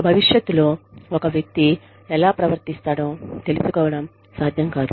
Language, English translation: Telugu, It is not possible to find out, how a person will behave, in future